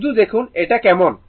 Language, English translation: Bengali, Just see that how it is